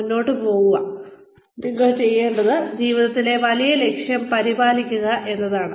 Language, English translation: Malayalam, Look ahead and do, what you need to do, in order to, take care of the larger goal in life